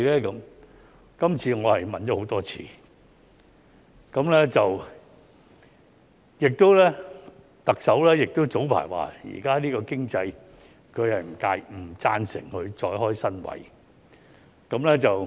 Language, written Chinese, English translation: Cantonese, "這次我問了很多次，而特首早前說，在現時的經濟下，她不贊成再開設新職位。, This time I have raised the question many times . As the Chief Executive said earlier on under the current economic situation she did not support the creation of more new posts